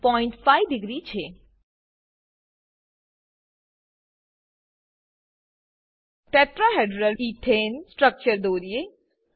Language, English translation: Gujarati, Now, lets draw Tetrahedral Ethane structure